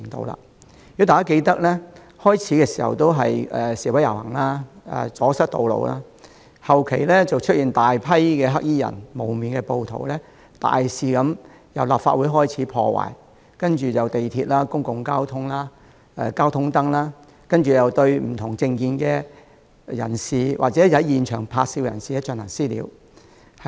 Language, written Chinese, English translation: Cantonese, 如果大家記得，剛開始時只是示威遊行、阻塞道路，隨後卻出現大批黑衣人和蒙面暴徒，大肆破壞，從立法會開始，接着是地鐵、交通燈，以及對不同政見或在現場拍照的人士進行"私了"。, If we can still remember at the beginning there were demonstrations and road blockages only followed by the subsequent appearance of a large crowd of black - clad people and masked rioters who smashed everything into pieces recklessly from the Legislative Council Complex to MTR stations and traffic lights . They further enforced vigilante attacks on people who held dissent political views or took photos at the scenes